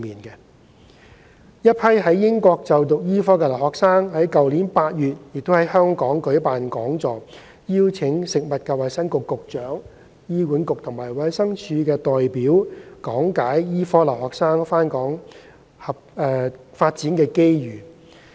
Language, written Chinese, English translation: Cantonese, 一批在英國就讀醫科的留學生於去年8月在香港舉辦講座，邀請食物及衞生局局長、醫管局及衞生署的代表講解醫科留學生回港發展的機遇。, A seminar was held in Hong Kong in August last year by Hong Kong students studying medicine in the United Kingdom at which the Secretary for Food and Health and representatives from HA and DH were invited to speak on the opportunities for overseas medical students to practise in Hong Kong